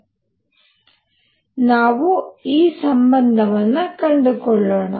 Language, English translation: Kannada, So, let us find this relationship